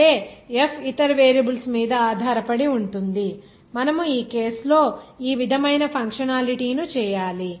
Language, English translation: Telugu, That is F is depending on the other variables in that case you have to make the functionality like this